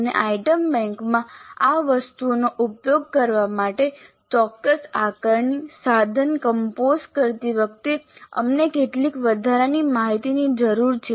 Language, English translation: Gujarati, And in order to make use of these items in the item bank while composing in a specific assessment instrument we need some additional information